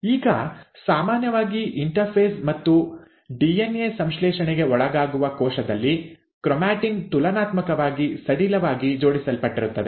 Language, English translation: Kannada, Now normally, in a cell which is undergoing interphase and DNA synthesis, the chromatin is relatively loosely arranged